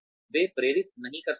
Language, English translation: Hindi, They may not motivate